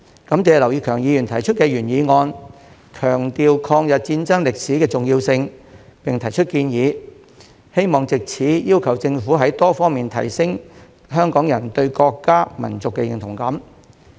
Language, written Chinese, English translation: Cantonese, 感謝劉業強議員提出原議案，強調抗日戰爭歷史的重要性，並提出建議，希望藉此要求政府在多方面提升香港人對國家、民族的認同感。, I thank Mr Kenneth LAU for his original motion which emphasizes the importance of the history of the War of Resistance and puts forward proposals to ask the Government to enhance Hong Kong peoples sense of national and ethnic identity on multiple fronts